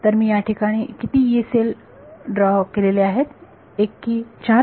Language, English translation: Marathi, So, how many Yee cells have I drawn 1 or 4